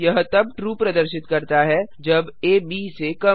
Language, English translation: Hindi, It returns true when a is less than b